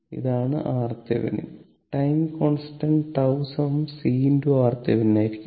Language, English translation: Malayalam, That is R Thevenin therefore; time constant tau will be is equal to c into R Thevenin